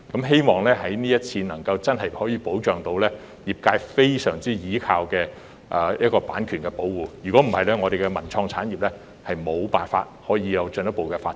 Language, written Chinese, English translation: Cantonese, 希望這次真的能夠保障業界非常倚重的版權，否則我們的文創產業無法進一步發展。, It is our hope that this exercise can give true protection to our valued copyright or else the development of our cultural and creative industry will remain at a standstill